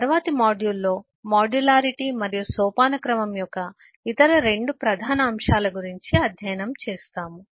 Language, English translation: Telugu, in the next module we will study about the other 2 major elements of modularity and hierarchy